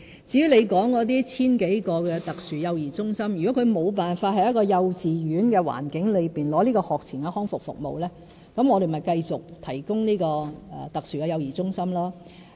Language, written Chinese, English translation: Cantonese, 至於你提及的 1,000 多名輪候特殊幼兒中心的小朋友，如果小孩無法在幼稚園的環境中獲得學前康復服務，我們便會繼續提供特殊幼兒中心。, The Honourable Member has pointed that some 1 000 children are still waiting for SCCC places . In this connection I would say that if any children are unfit to receive pre - school rehabilitation services in a kindergarten setting we will continue to provide them with SCCC services